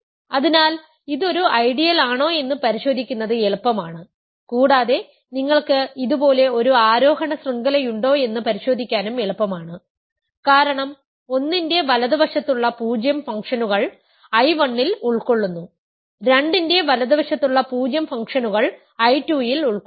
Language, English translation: Malayalam, So, it is easy to check that it is an ideal and also easy to check that you have an ascending chain like this right because I 1 consist of functions which are 0 to the right of 1, I 2 consists of functions which are 0 to the right of 2